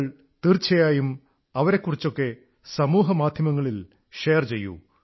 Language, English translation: Malayalam, You must share about them on social media